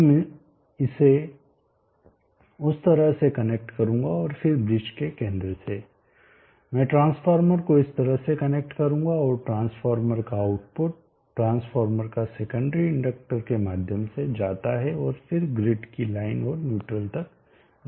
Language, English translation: Hindi, So I will connect it like that and then the center of the bridge I will connect the transformer like this and output of a transformer secondary the transformer go through the inductor and then to the line and neutral of the grid